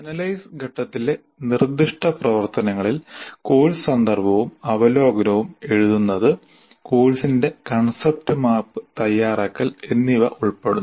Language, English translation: Malayalam, The proposed activities of the analysis phase include writing the course context and overview and preparing the concept map of the course